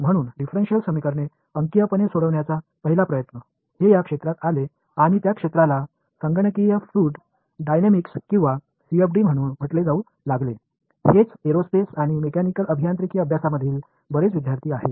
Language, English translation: Marathi, So, the first effort in trying to numerically solve a differential equation; it came about in this field and that field became to became to be called computational fluid dynamics or CFD, that is what a lot of students in aerospace and mechanical engineering study